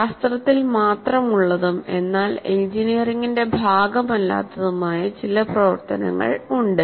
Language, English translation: Malayalam, There are some activities which are exclusively in science and they are not as a part of engineering